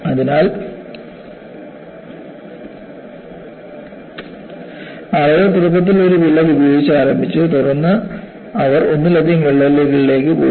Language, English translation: Malayalam, So, people initially started with one crack, then, they went to multiple cracks